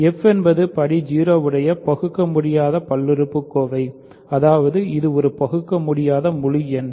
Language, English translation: Tamil, So, f is an irreducible polynomial of degree 0; that means, it is an irreducible integer